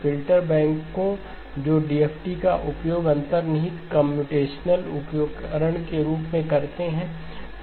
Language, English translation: Hindi, Filter banks that use the DFT as the underlying computational tool